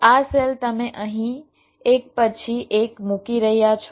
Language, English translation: Gujarati, so this cells you are placing here one by one